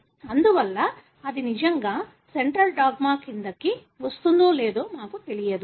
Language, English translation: Telugu, Therefore, we do not know whether that really falls into the central dogma